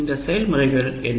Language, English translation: Tamil, Which are these processes